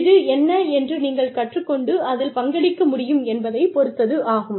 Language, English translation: Tamil, It just depends on, what you can learn, and what you can contribute